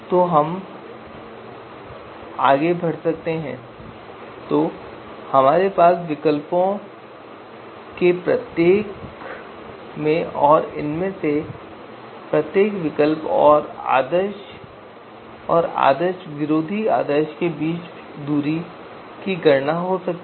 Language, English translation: Hindi, So now we can go ahead and calculate the distance you know for you know each of these alternatives and between each of these alternatives and the ideal and anti ideal points